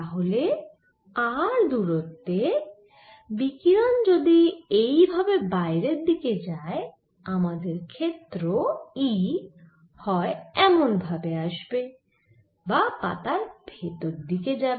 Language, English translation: Bengali, then at a distance, r, if the radiation is going out this way, i would have an e field either going as shown here or go into the paper